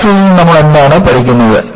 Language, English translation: Malayalam, And, what do you learn from this graph